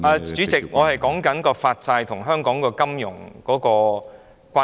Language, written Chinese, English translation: Cantonese, 主席，我正在說明發債與香港金融的關係。, President I am explaining the relationship between issuance of bonds and Hong Kongs finance